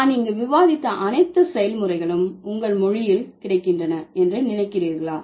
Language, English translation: Tamil, Do you think all the processes that I have discussed here are available in your language